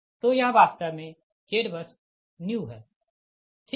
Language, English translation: Hindi, so this is actually z bus new